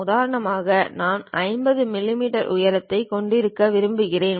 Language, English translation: Tamil, For example, I would like to have a height of 50 millimeters